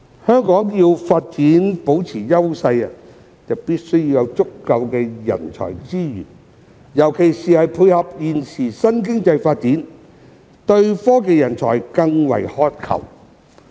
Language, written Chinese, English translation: Cantonese, 香港要保持發展優勢，必須有足夠的人才資源，尤其是為配合現時的新經濟發展，對科技人才更為渴求。, Sufficient human resources are essential for Hong Kong to maintain its development advantages . There is a keener demand for technology talents in particular to cater for the current development of a new economy